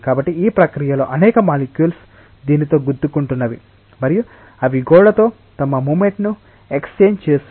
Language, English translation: Telugu, So, in this process many molecules are colliding with this and their exchanging their momentum with a wall